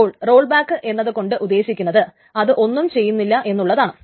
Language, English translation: Malayalam, So the rollback actually meaning it does nothing